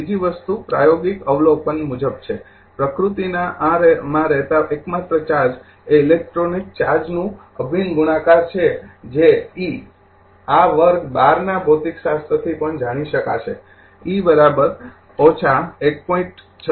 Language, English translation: Gujarati, Second thing is according to experimental observation, the only charges that occur in nature are integral multiplies of the electronic charge that e is equal to this will know from your class 12 physics also, e is equal to minus 1